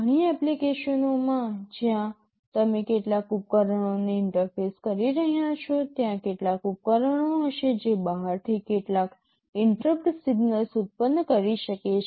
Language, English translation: Gujarati, In many applications wherever you are interfacing some devices, there will be some devices that can be generating some interrupt signals from outside